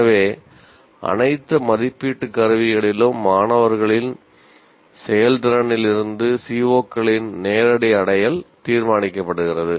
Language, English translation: Tamil, So, direct attainment of COs is determined from the performance of the performance of the students in all the assessment instruments